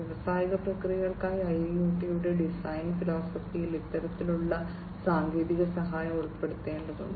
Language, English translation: Malayalam, And this kind of technical assistance will also have to be incorporated into the design philosophy of IIoT for industrial processes